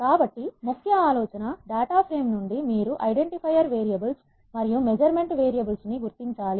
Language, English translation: Telugu, So, the key idea is from the data frame, you have to identify what are called identifier variables